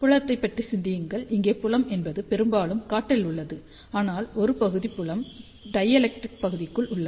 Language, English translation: Tamil, So, think about the field, so field mostly it is in the air, but part of the field is within the dielectric region